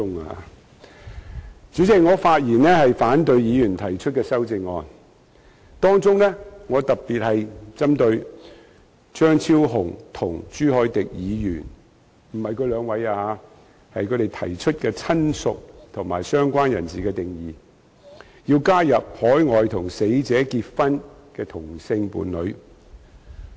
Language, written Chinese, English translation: Cantonese, 代理主席，我發言反對議員提出的修正案，當中我特別針對張超雄議員和朱凱廸議員——並非針對他們兩位——提出有關"親屬"和"相關人士"的定義，要求加入與死者在海外結婚的同性伴侶。, Deputy Chairman I speak against the amendments proposed by Members among which I am particularly opposed to Dr Fernando CHEUNG and Mr CHU Hoi - dick―not against them both personally―proposing to add the same - sex partner married to the deceased overseas in the definitions of relative and related person respectively